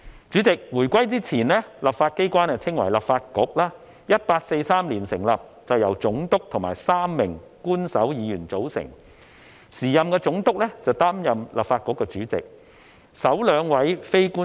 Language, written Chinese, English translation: Cantonese, 主席，回歸前，立法機關稱為立法局 ，1843 年成立並由總督和3名官守議員組成，時任總督擔任立法局主席。, President before the reunification the legislature was called Lifaju in Chinese . The Legislative Council was founded in 1843 . It consisted of the Governor and three Official Members and the then Governor was the President of the Legislative Council